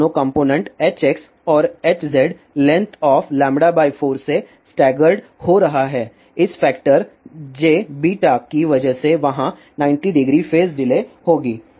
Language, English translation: Hindi, These two components H x and H z are a stegard by a length of lambda by 4 because of this factor j beta there will be 90 degree says delay